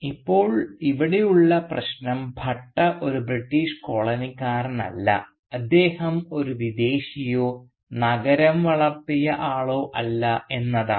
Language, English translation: Malayalam, And now the problem here is that the Bhatta is not only not a British coloniser he is also not a foreigner or even a city bred man